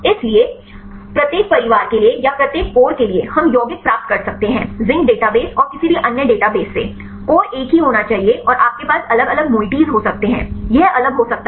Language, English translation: Hindi, So, for each family or for each core, we can get the compounds from the zinc database and any other databases; the core should be the same and you can have the different moieties; it can be different